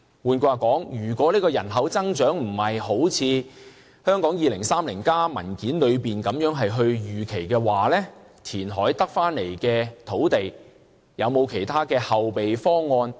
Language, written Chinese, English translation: Cantonese, 換言之，如果人口增長不是一如《香港 2030+》文件的預期，除了填海得到的土地，政府是否有其他後備方案？, In other words if the population is not increased as projected in Hong Kong 2030 apart from the land created through reclamation will the Government have other fallback options?